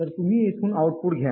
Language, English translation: Marathi, so you take the output from here